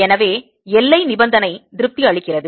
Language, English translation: Tamil, what is the boundary condition here